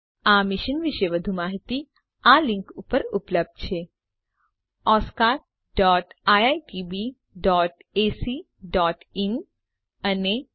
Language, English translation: Gujarati, More information on the same is available at thefollowing links oscar.iitb.ac.in, and spoken tutorial.org/NMEICT Intro